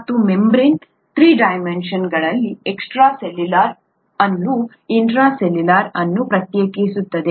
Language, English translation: Kannada, And this membrane in three dimensions, separates the intracellular the extracellular